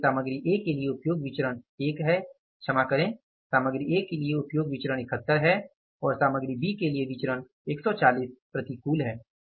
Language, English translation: Hindi, 107 sorry for the material A the variance is 71 and for the material B with the variance is 140 unfavorable